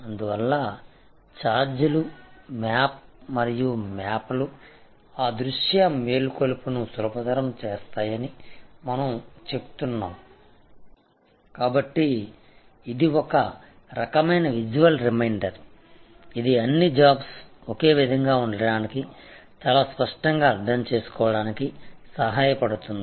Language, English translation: Telugu, So, that is why we say charts and map can facilitate visual awakening, so it is kind of a visual reminder it is all the time it helps all the employees to be on the same page at to understand very clearly